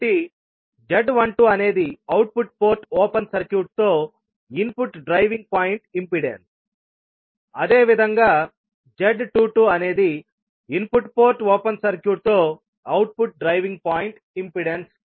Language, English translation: Telugu, So, Z12 is the input driving point impedance with the output port open circuited, while you can say that Z22 is the output driving point impedance with input port open circuited